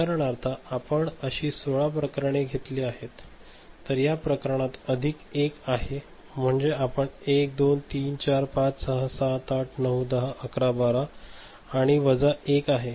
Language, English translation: Marathi, For example, you have taken 16 such cases; so, in this case plus 1, you can count as 1, 2, 3, 4, 5, 6, 7, 8, 9, 10, 11, 12, 13 and minus 1 are 3